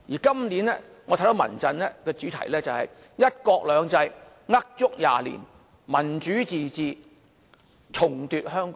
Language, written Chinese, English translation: Cantonese, 今年，我知道民陣的主題是"一國兩制呃足廿年；民主自治重奪香港"。, This year I know that the theme of Civil Human Rights Fronts rally is One country two systems a lie of 20 years; Democratic self - government retake Hong Kong